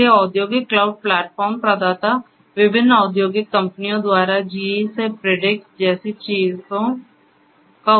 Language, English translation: Hindi, So, industrial cloud platform providers so by different industrial companies things like Predix from the GE